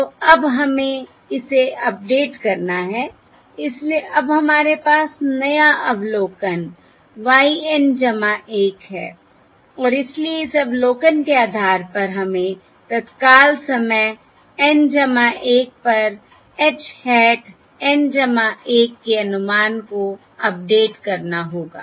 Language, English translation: Hindi, so now we have new observation: y N plus 1 and therefore, based on this observation, we have to update the estimate h hat of N to h hat of N plus 1, at time instant N plus 1